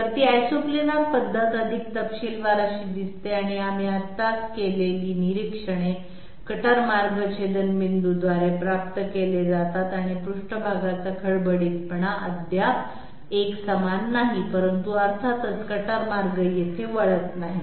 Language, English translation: Marathi, So Isoplanar method in more detail, it looks like this and the observations that we have made just now, cutter paths are obtained by intersection lines and the surface roughness is still not uniform, but of course the cutter paths are not diverging here